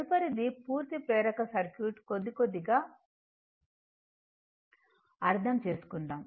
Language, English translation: Telugu, Next is that, next is a purely inductive circuit little bit little bit understanding